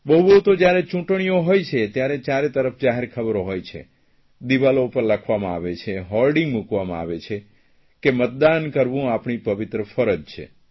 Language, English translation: Gujarati, At the most, whenever there are elections, then we see advertisement all around us, they write on the walls and hoardings are put to tell that to vote is our sacred duty